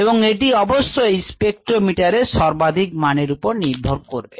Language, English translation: Bengali, ah, of course this depends on the spectrometer ah, the maximum value and so on